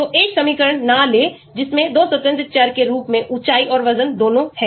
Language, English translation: Hindi, So, do not take a equation which has both height and weight as 2 independent variables